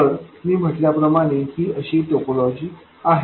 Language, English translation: Marathi, So, this is the topology